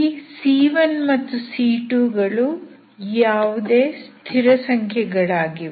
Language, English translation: Kannada, These C1 and C2 are constants, arbitrary constants